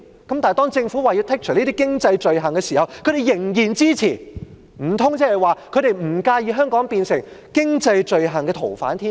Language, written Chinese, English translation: Cantonese, 但是，當政府表示要剔除這些經濟罪類時，他們仍然支持，難道他們不介意香港變成經濟罪犯的天堂嗎？, However when the Government indicated to remove these items of economic offences they again rendered support . Is it that they do not mind Hong Kong becoming a haven for economic offenders?